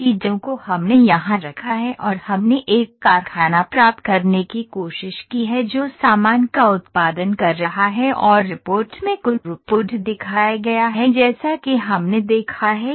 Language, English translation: Hindi, So, those things we have put here and we have tried to obtain a factory that is producing the goods and the total throughput is shown in the report as we have seen